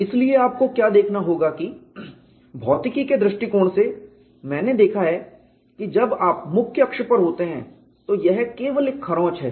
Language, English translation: Hindi, So, what we will have to look at is, from physics point of view, I have looked at when you are having the major axis it is only a scratch